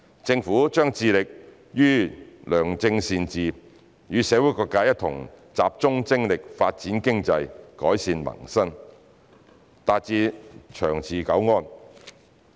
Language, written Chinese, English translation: Cantonese, 政府將致力於良政善治，與社會各界一同集中精力發展經濟、改善民生，達致長治久安。, The Government will be committed to good governance and will work with various sectors of the community to focus on economic development improve peoples livelihood and achieve long - term peace and stability